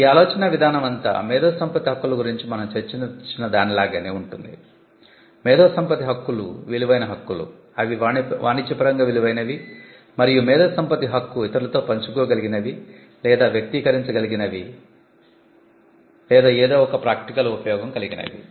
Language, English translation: Telugu, This again is similar to what we discussed about intellectual property Rights, we say that intellectual property Rights are valuable Rights they are commercially valuable and intellectual property Right is tied to an idea which can be shared to others or which can be expressed or which can or you can have an application out of it